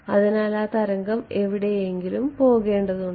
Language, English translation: Malayalam, So, that wave has to go somewhere